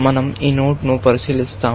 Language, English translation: Telugu, We do investigate this node